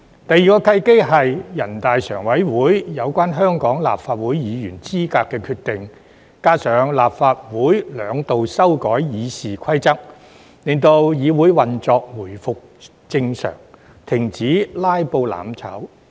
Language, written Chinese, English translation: Cantonese, 第二個契機是全國人大常委會有關香港立法會議員資格的決定，加上立法會兩度修改《議事規則》，令議會運作回復正常，停止"拉布"、"攬炒"。, The second opportunity was when NPCSCs decision on the qualification of Members of the Legislative Council of Hong Kong coupled with the two amendments made by the Legislative Council to the Rules of Procedure restored the normal operation of the legislature and stopped filibusters and mutual destruction